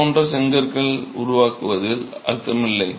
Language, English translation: Tamil, So it is, it doesn't make sense to create bricks like that